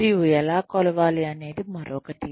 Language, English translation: Telugu, And, how to measure is another one